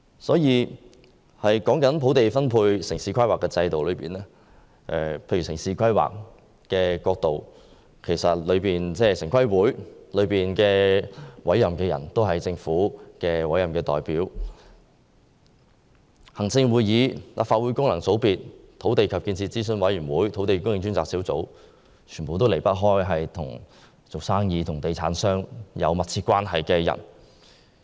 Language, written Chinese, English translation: Cantonese, 說到土地分配和城市規劃制度，城市規劃委員會的全體成員均由政府委任，而行政會議、立法會功能界別、土地及建設諮詢委員會和專責小組的組成，全都離不開與商界和地產商有密切關係的人。, When it comes to the systems of land allocation and town planning we know that all members of the Town Planning Board are appointed by the Government . The Executive Council the functional constituencies of the Legislative Council the Land and Development Advisory Committee and also the Task Force are all composed of persons who have very close relationship with the commercial sector and property developers